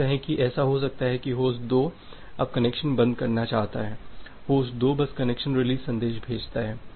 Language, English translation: Hindi, Say it may happen that host 2 now wants to wants to close the connection, host 2 simply sends the connection release message